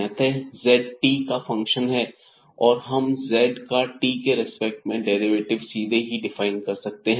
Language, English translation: Hindi, So, basically this z is a function of t and then we can define here the derivative of z with respect to t directly